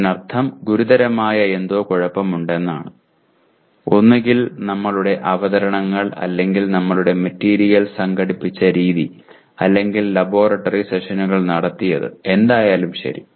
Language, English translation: Malayalam, That means there is something seriously wrong either in terms of our presentations or the way we organized our material or we conducted the laboratory sessions, whatever it is